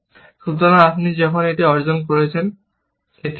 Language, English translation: Bengali, So, when you achieved this, this is true